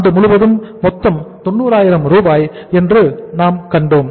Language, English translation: Tamil, We have seen it is total is 90,000 for the whole of the year